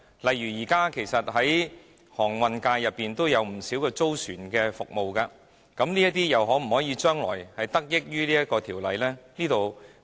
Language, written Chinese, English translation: Cantonese, 例如現時航運界有不少提供租船服務的公司，他們將來又能否得益於此條例？, There are many companies in the shipping industry that offer vessel charter services . Will these companies also benefit from this Ordinance in the future?